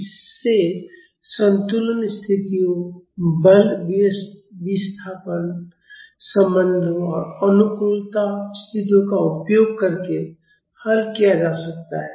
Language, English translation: Hindi, This can be solved using equilibrium conditions, force displacement relations and compatibility conditions